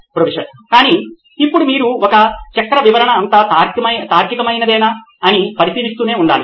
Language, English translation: Telugu, But now you’ve to keep examining whether all this chain makes a logical sense